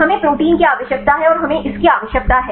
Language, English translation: Hindi, We need to protein and we need the